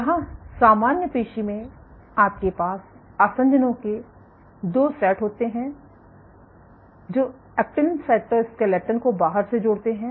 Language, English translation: Hindi, From here so, in normal muscle you have 2 sets of adhesions which link the actin cytoskeleton to the outside